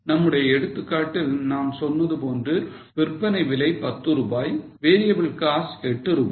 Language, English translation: Tamil, So, in our example, I had told you that selling price is $10, variable cost is $8